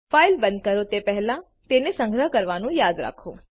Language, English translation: Gujarati, Remember to save the file before you close it